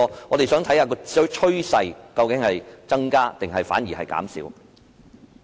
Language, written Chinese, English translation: Cantonese, 我們想看看當中的趨勢究竟是有所增加，還是反而減少。, We would like to see whether the trend is indicative of an increase or a decrease instead